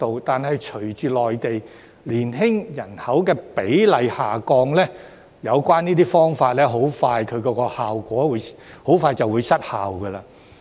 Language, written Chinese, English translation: Cantonese, 但是，隨着內地年輕人口比例下降，有關方法的效果很快便會失效。, However following a decline in the proportion of youngsters population in the Mainland this approach will lose its effect very soon